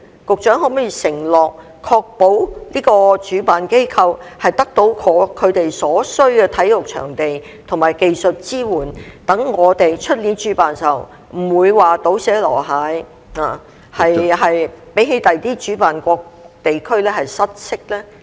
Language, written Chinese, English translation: Cantonese, 局長可否承諾，確保主辦機構得到他們所需的體育場地及技術支援，讓我們明年主辦時不會"倒瀉籮蟹"，不會比其他主辦國家或地區失色呢？, Could the Secretary undertake to ensure that the organizer will receive the necessary sports venue and technical support so that the event to be held by us next year will not be a mess and outshone by other hosting countries or regions?